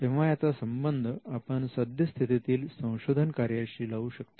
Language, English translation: Marathi, So, we can relate this easily with what is happening in research